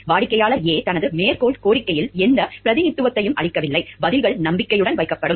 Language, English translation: Tamil, Client A makes no representation in his quotation request, that replies will be held in confidence